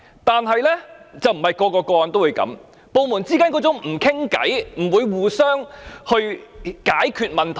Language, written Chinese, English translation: Cantonese, 但是，並非每宗個案都會這樣，部門之間缺乏溝通，不會互相合作解決問題。, However not every case will be like this . There is a lack of communication and cooperation between departments to solve problems